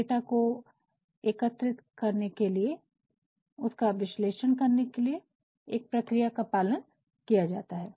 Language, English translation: Hindi, A procedure followed for collection and analysis of data